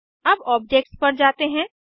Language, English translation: Hindi, Let us move on to objects